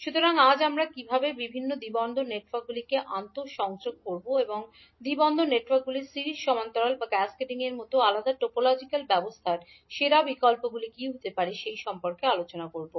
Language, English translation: Bengali, So today we will discuss about how we will interconnect various two port networks and what would be the best options in a different topological condition such as series, parallel or cascading of the two port networks